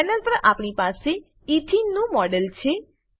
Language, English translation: Gujarati, We have a model of Ethene on the panel